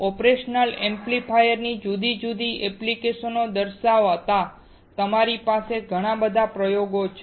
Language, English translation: Gujarati, I have lot of experiments for you guys to see showing different application of operational amplifiers